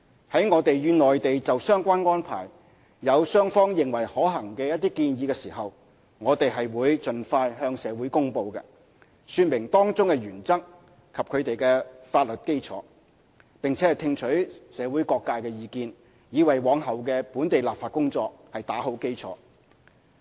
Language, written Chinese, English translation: Cantonese, 在我們與內地就相關安排有雙方認為可行的一些建議時，我們便會盡快向社會公布，說明當中的原則及其法律基礎，並聽取社會各界的意見，以為往後的本地立法工作打好基礎。, When it is mutually agreed between the Mainland side and us that there are feasible recommendations for the relevant arrangements we will make an announcement to the public setting out the relevant principles and legal basis as early as practicable as well as listening to the views from different sectors of society in order to form a basis for subsequent local legislative process